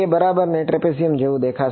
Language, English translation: Gujarati, It will look like a trapezium right